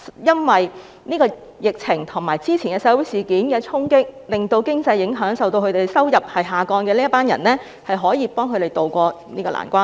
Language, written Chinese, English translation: Cantonese, 因為疫情，以及早前社會事件的衝擊，經濟受到影響，而這群人的收入也因而下降，司長是否可以協助他們渡過這個難關呢？, Due to the epidemic and the blow of the social incidents took place earlier the economy is affected and the income of these people diminishes . Will the Financial Secretary give them a hand so that they can ride out this crisis?